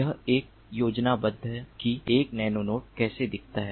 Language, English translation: Hindi, this is a schematic of how a nano node looks like